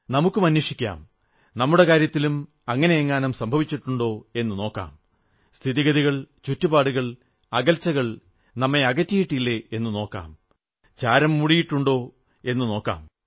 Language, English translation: Malayalam, We should also check if such a thing has happened in our case too whether circumstances, situations, distances have made us alien, whether dust has gathered over our determinations